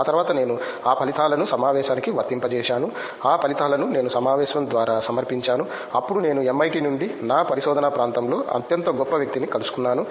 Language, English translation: Telugu, After that I applied those results to the conference, I presented those results through the conference then I met that the most eminent person in my research area from MIT